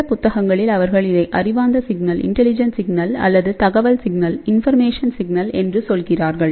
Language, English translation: Tamil, In fact, in some books they use that intelligent signal or you can say information signal